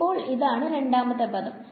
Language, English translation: Malayalam, So, this is the second term